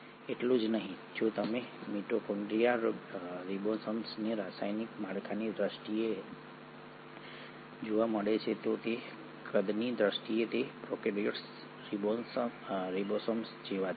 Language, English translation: Gujarati, Not just that if you are to look at the mitochondrial ribosomes you find in terms of the chemical structure, in terms of their size they are very similar to prokaryotic ribosomes